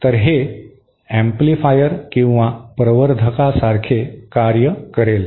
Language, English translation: Marathi, So, this will act like an amplifier